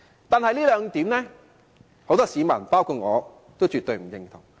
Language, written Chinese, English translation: Cantonese, 但是，很多市民，包括我，對這兩點絕不認同。, However many members of the public including me absolutely do not agree with these two points